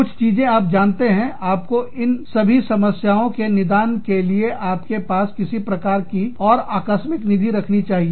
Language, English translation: Hindi, Some something, you know, you have to keep, some sort of contingency funds, to tide over these problems